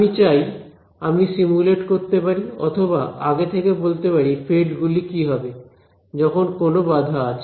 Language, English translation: Bengali, So, I want to be able to simulate and predict what are the fields given some obstacles